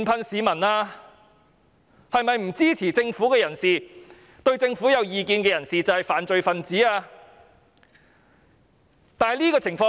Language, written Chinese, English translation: Cantonese, 是否不支持政府、與政府持不同意見的人便是犯罪分子？, Should those who do not support the Government and disagree with the Government be classified as criminals?